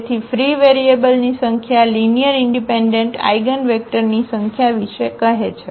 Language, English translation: Gujarati, So, the number of free variables tells about the number of linearly independent eigenvectors